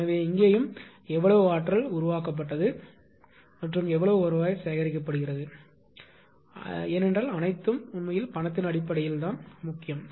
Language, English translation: Tamil, So, here also same thing how much energy is generated and how much revenue is collected because everything actually matters in terms of money